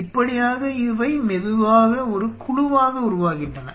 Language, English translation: Tamil, They are slowly form in a colony